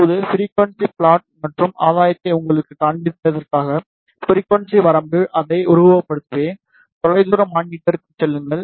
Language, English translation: Tamil, Now, just to show you the gain versus frequency plot I will simulate it over the frequency range go to far field monitor